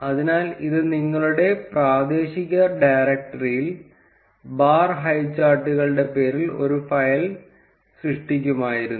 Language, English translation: Malayalam, So, this would have created a file with a name of bar highcharts in your local directory